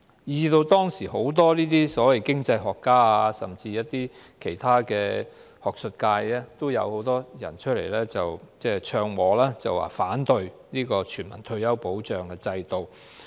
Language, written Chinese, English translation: Cantonese, 因此，當時有很多所謂經濟學家，甚至是學術界人士也紛紛唱和，反對全民退休保障制度。, Consequently many so - called economists at that time and even some in the academia echoed with one another in opposition to a system of universal retirement protection